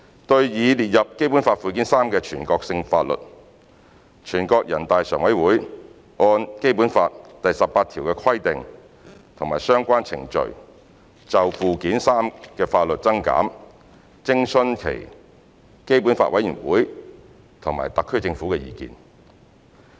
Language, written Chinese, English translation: Cantonese, 對擬列入《基本法》附件三的全國性法律，人大常委會按《基本法》第十八條的規定及相關程序，就附件三的法律增減徵詢基本法委員會和特區政府的意見。, NPCSC may add to or delete from the list of national laws in Annex III in consultation with its Committee for the Basic Law of HKSAR and the Government of HKSAR in accordance with the provisions and relevant procedures stipulated in Article 18 of the Basic Law